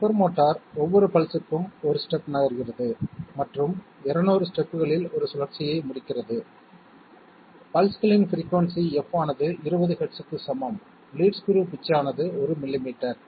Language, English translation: Tamil, Stepper motor moves 1 step for each pulse and covers 1 rotation in 200 steps, the frequency of the pulses F equal to 20 hertz, pitch of the lead screw is 1 millimetre